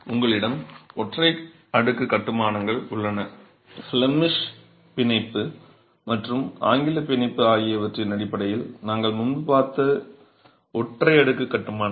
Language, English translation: Tamil, You have single leaf constructions, what we saw earlier in terms of the Flemish bond and the English bond are single leaf constructions